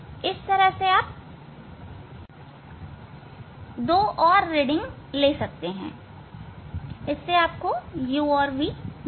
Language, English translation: Hindi, Actually, we need the reading of these three, so then you can find out u and v